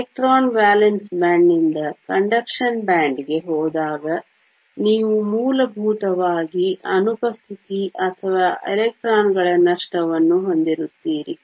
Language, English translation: Kannada, When an electron goes from the valence band to the conduction band, you essentially have an absence or a loss of electrons